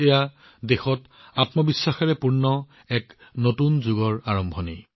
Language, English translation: Assamese, This is the beginning of a new era full of selfconfidence for the country